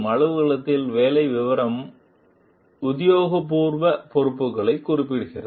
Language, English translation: Tamil, The job description in the office specifies official responsibilities